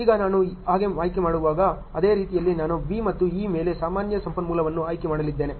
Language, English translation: Kannada, Now, when I am choosing so, same way I am going to choose a common resource on B and E